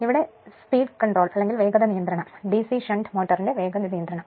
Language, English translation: Malayalam, Now, if you look into that the speed control of a DC shunt motor right